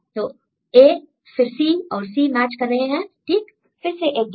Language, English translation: Hindi, So, A then C and C are matching right then another gap